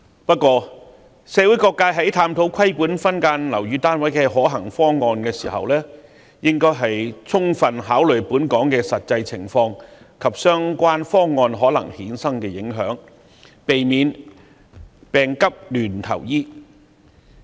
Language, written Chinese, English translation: Cantonese, 不過，社會各界在探討規管分間樓宇單位的可行方案時，應該充分考慮本港的實際情況，以及相關方案可能衍生的影響，避免"病急亂投藥"。, However when exploring feasible proposals for regulating subdivided units due consideration should be given to the actual situation in Hong Kong and possible impacts of the proposals rather than acting like a drowning man clutching at a straw